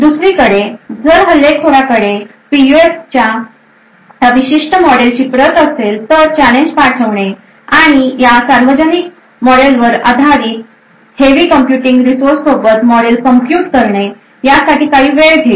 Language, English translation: Marathi, On the other hand, if that is an attacker who actually has a copy of this particular model of the PUF, sending the challenge and computing the model based on this public model would take quite some time even with heavy computing resources